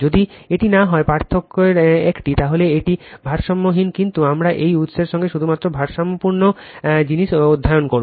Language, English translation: Bengali, If it is not if one of the difference, then it is unbalanced but, we will study only balanced thing for this source right